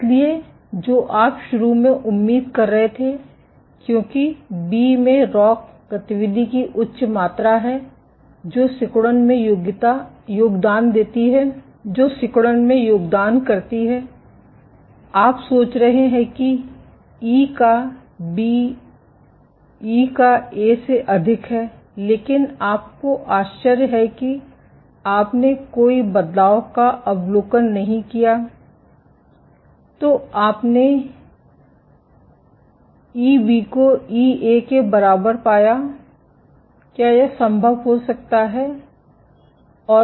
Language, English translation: Hindi, So, what you are initially expecting was because B has higher amount of ROCK activity which contributes to contractility, you are thinking that E of A is greater than sorry E of B is greater than E of A, but you are surprised you did not observe any change